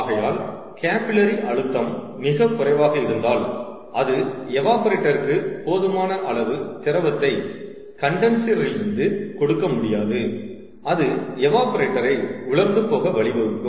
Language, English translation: Tamil, so when the capillary pressure is too low to provide enough liquid to the evaporator from the condenser, and that leads to dry out the evaporator